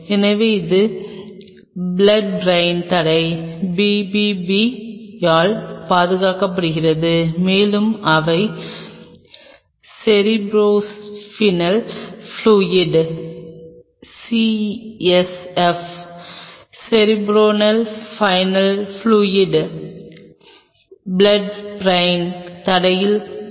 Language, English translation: Tamil, So, these are protected by blood brain barrier BBB, and they are bathe in cerebrospinal fluid CSF Cerebro Spinal Fluid blood brain barrier